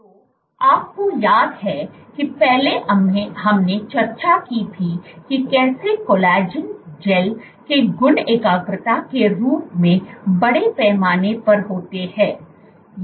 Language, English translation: Hindi, So, you remember earlier we had discussed how properties of collagen gels scale as concentration cubed